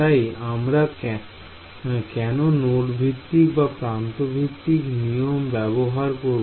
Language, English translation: Bengali, So, why would you use node based or edge based right